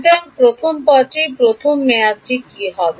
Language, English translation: Bengali, So, first term what will be the first term be